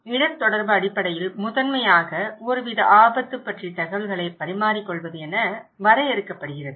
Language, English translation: Tamil, So risk communication basically, primarily defined as purposeful exchange of information about some kind of risk